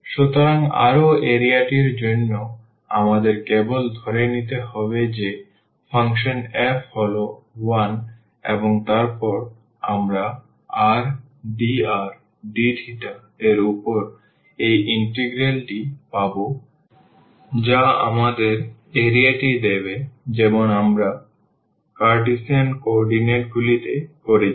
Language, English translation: Bengali, So, again for the area we have to just assume that this function f is 1 and then we will get this integral over r dr d theta that will give us the area as we have done in the Cartesian coordinates